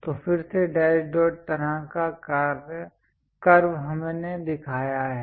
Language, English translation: Hindi, So, again dash dot kind of curve we have shown